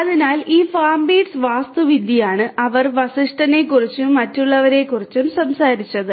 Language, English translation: Malayalam, So, this is this FarmBeats architecture that they talked about Vashisht et al